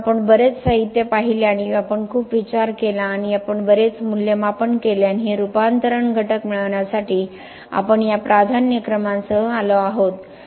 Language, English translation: Marathi, So, we did a lot of thinking we look at looked at a lot of literature and we did a lot of assessment and we have come up with this set of priorities for getting this conversion factors